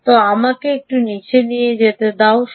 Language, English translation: Bengali, ok, so let me just go a little low, low, low here